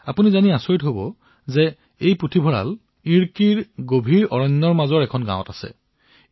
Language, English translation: Assamese, You will be surprised to learn that this library lies in a village nestling within the dense forests of Idukki